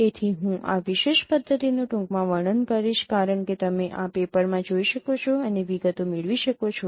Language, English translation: Gujarati, So I will be briefly describing this particular method but you can go through this paper and get the details